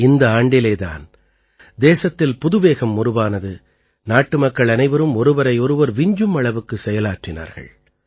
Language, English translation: Tamil, This year the country gained a new momentum, all the countrymen performed one better than the other